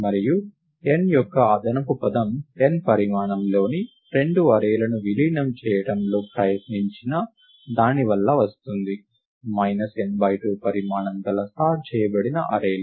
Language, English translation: Telugu, And the additional term of n comes for the efforts spent in merging two arrays of size n by 2 – sorted arrays of size n by 2